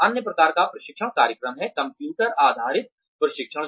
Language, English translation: Hindi, The other type of training program is, computer based training